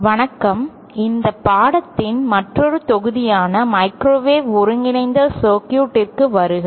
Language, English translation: Tamil, Hello, welcome to another module of this course microwave integrated circuits